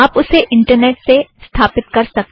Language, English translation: Hindi, You can install it from the internet